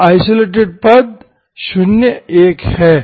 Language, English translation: Hindi, So the isolated terms are 0, 1, okay